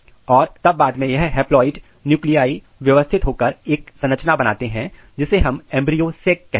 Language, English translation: Hindi, And then later on this haploid nucleis they get rearranged and they make this structure called embryo sac